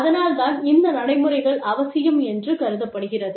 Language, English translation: Tamil, So, that is why, these procedures are necessary